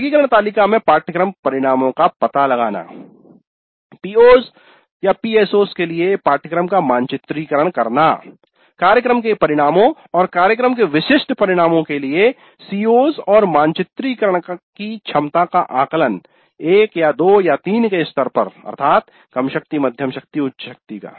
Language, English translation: Hindi, So, locating the course outcomes in the taxonomy table, preparing course to PO, PSOs, COs to program outcomes and program specific outcomes and the strength of this mapping at the levels of 1 or 2 or 3, low strength, moderate strength, high strength